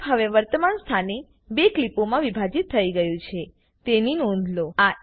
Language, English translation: Gujarati, Notice that the clip is now split into 2 clips at the current position